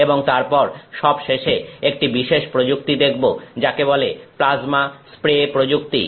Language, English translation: Bengali, And then finally, look at this particular technique called plasma spray technique